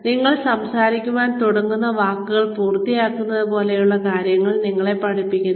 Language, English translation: Malayalam, So, you are taught things like, completing the words, that you begin speaking